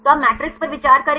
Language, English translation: Hindi, So, you consider the matrix